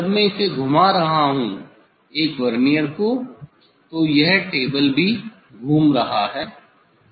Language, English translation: Hindi, when I am rotating this one Vernier then this table also rotating